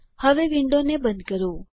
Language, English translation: Gujarati, Now close this window